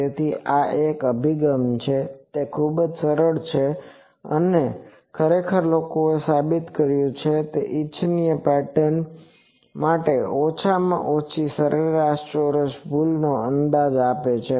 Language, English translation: Gujarati, So, this is one approach it is very easy and actually people have proved that this is a it gives a least mean square error approximation to the desired pattern